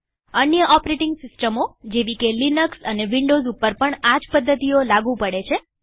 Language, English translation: Gujarati, Similar methods are available in other operating systems such as Linux and Windows